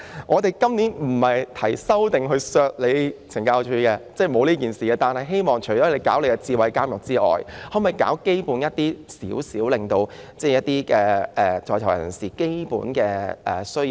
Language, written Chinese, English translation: Cantonese, 我們今年提出的修正案不是為了削減懲教署的撥款，而是希望懲教署在推行智慧監獄外，亦應做好基本的工作，適切回應在囚人士的基本需要。, The amendments proposed by us this year do not seek to reduce the funding for CSD . Rather we hope that apart from introducing smart prisons CSD will do the basic work properly responding appropriately to the prisoners basic needs